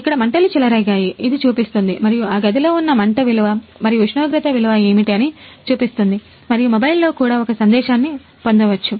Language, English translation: Telugu, Here this show that fire broke out and what is the flame value and temperature value of that can that room and also get to also get a message in the mobile